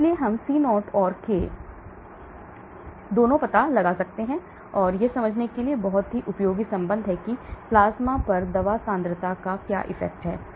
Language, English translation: Hindi, So we get both the C0 and K elimination, so this is a very useful relationship to understand how the drug concentration falls down at plasma